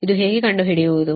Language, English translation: Kannada, now how to find out